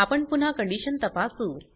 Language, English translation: Marathi, We check the condition again